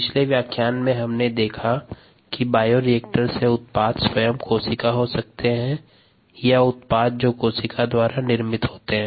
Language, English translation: Hindi, in the last lecture we saw that the two major products from a bioreactor could be the cells themselves, are the products that are produced by the cell